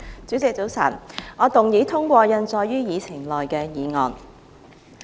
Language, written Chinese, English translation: Cantonese, 主席，早晨，我動議通過印載於議程內的議案。, Good morning President . I move that the motion as printed on the Agenda be passed